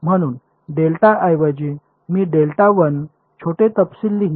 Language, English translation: Marathi, So, instead of delta, I will write delta 1 the minor details